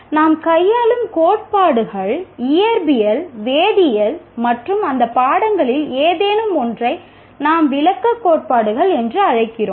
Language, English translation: Tamil, The theories that we deal, let us say in physics, chemistry or any one of those subjects, they are what we call descriptive theories